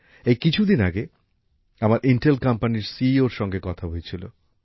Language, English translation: Bengali, Just a few days ago I met the CEO of Intel company